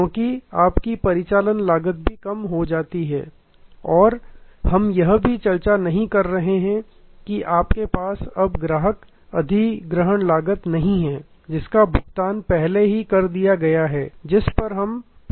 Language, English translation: Hindi, Because, your operating cost also come down and we are not also discussing that you no longer have a customer acquisition cost that is already given that we have discussed before